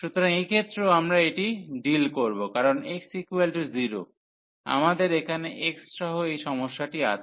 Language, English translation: Bengali, So, in this case we will also deal this because at x is equal to 0, we have this problem here with x